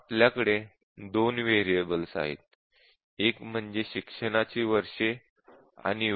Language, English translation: Marathi, Now let's say we have two variables; one is years of education and age